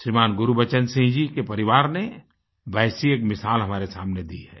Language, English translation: Hindi, ShrimanGurbachan Singh ji's family has presented one such example before us